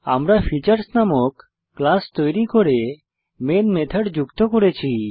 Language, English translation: Bengali, I have created a class named Features and added the main method